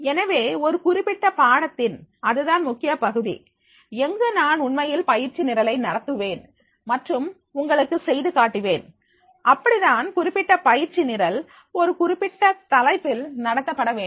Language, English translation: Tamil, So, that is a major part of this particular course where actually I will conduct the training programs and demonstrate you that is the how a particular training program on a particular topic that has to be conducted